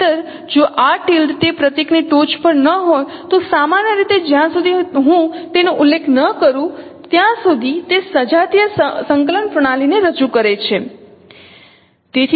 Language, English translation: Gujarati, Otherwise if this symbol this tilde is not there at the top of that symbol then usually unless I mention that is represented in homogeneous coordinate system